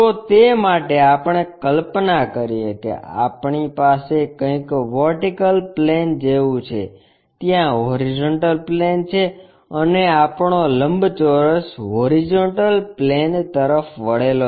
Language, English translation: Gujarati, So, for that let us visualize that we have something like a vertical plane, there is a horizontal plane and our rectangle is inclined to horizontal plane